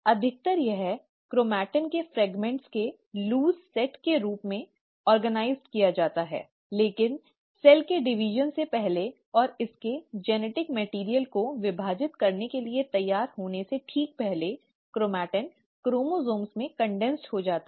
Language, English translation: Hindi, Mostly it is organized as a loose set of fragments of chromatin, but right before a cell is ready to divide, and divide its genetic material, the chromatin gets condensed into chromosomes